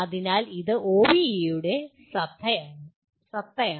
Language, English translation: Malayalam, So this is the essence of OBE